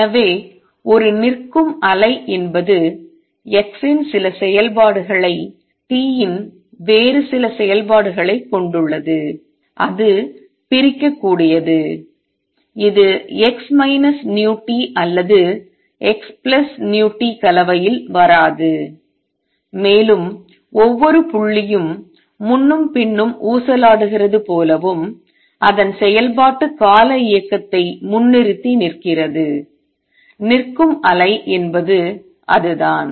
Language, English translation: Tamil, So, necessarily a standing wave has the form some function of x times some other function of t, it is separable, it does not come in a combination x minus v t or x plus v t and it is as if each point is just oscillating back and forth its performing periodic motion that is what a standing wave is